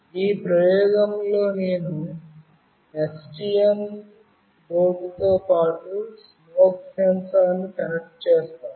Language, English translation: Telugu, In this experiment, I will be connecting a smoke sensor along with STM board